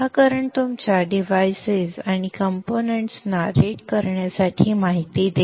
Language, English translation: Marathi, These two will give the information to rate your devices and components